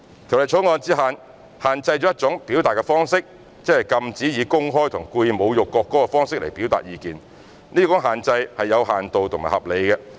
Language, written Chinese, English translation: Cantonese, 《條例草案》只限制一種表達方式，即禁止市民以公開和故意侮辱國歌的方式表達意見，這種限制是有限度和合理的。, The Bill restricts only one form of expression by prohibiting members of the public from expressing opinions by way of publicly and intentionally insulting the national anthem . Such restriction is a limited and reasonable one